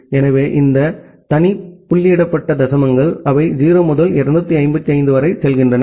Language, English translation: Tamil, So, these individual dotted decimals, they go from 0 to 255